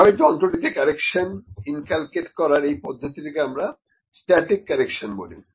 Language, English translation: Bengali, So, this kind of correction that is inculcated to the instrument is known as static correction, static correction